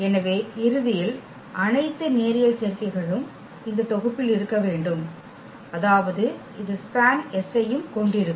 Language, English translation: Tamil, So, eventually all the linear combinations must be there in this set w; that means, this will also have i span S